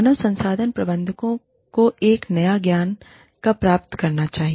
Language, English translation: Hindi, When should human resource managers, gain a new knowledge